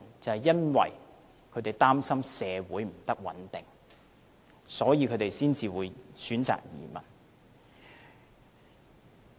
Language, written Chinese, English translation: Cantonese, 就是因為他們擔心社會不穩定，所以才會選擇移民。, Because they are worried about social instability; that is why they choose to emigrate